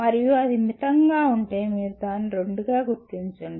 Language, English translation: Telugu, And if it is moderate, you will name it as 2